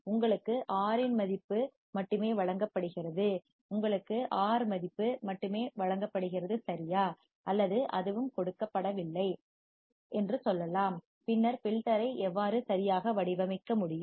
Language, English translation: Tamil, And you are only given the value of R you are only given a value of R right or that is also not given let us say that is also not given then how can you design the filter right